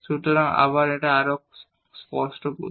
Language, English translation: Bengali, So, again to make it more clear